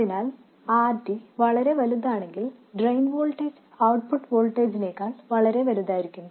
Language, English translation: Malayalam, If already is very large, the drain voltage can become much larger than the output voltage